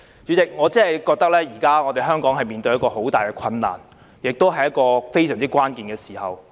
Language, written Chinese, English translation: Cantonese, 主席，我覺得香港現時真的面對很大的困難，亦是處於非常關鍵的時刻。, President I think Hong Kong is indeed faced with great difficulties and in a most critical moment now